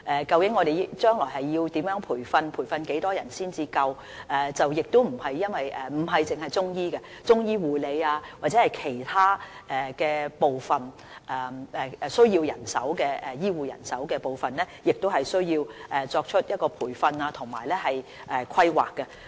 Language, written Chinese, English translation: Cantonese, 究竟將來要如何培訓，以及培訓多少人員才足夠；除中醫外，中醫護理或其他需要醫護人手的部分，亦需作出培訓和規劃。, The Subcommittee under CMDC has held discussions on this as we must ascertain the kinds of training to be provided and the level of manpower to be trained . Chinese medicine practitioners aside we also need manpower training and planning for Chinese medicine nursing care and other service areas